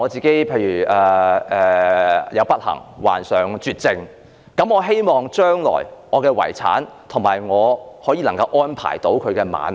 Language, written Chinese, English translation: Cantonese, 假如我不幸患上絕症，我希望安排我的遺產，讓我的伴侶能夠安享晚年。, I may want to make some arrangements for my estate so that my partner can live a life of stability in his old age